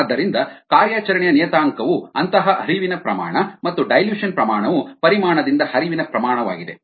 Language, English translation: Kannada, therefore an operational parameter, such a flow rate and dilution rate, is flow rate by the volume